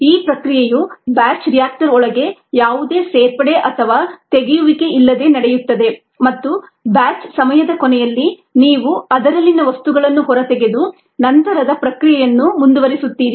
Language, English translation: Kannada, the process takes place inside the batch reactor with no addition or removal and at the end of the batch time you take the contents out and go for processing